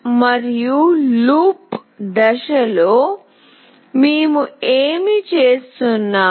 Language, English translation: Telugu, And in the loop phase, what we are doing